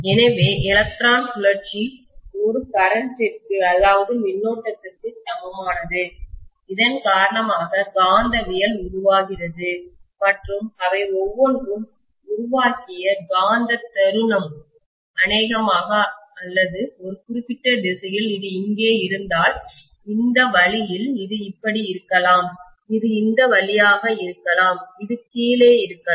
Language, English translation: Tamil, So the electron spinning is equivalent to a current because of which magnetism is produced and the magnetic moment created by each of them probably or in a particular direction if it is here, this way, this may be this way, this may be this way, this may be at the bottom